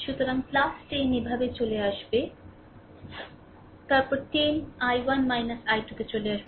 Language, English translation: Bengali, So, plus 10 is coming move like this, then 10 into i 1 minus i 2